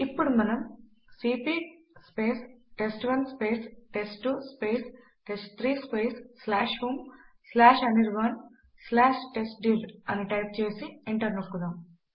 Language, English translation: Telugu, Now we type $ cp test1 test2 test3 /home/anirban/testdir and press enter